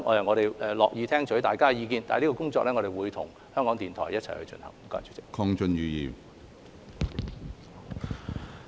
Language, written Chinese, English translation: Cantonese, 我們樂意聽取大家的意見，會與港台一起進行這項工作。, We are willing to listen to Members views and will join hands with RTHK to proceed with this task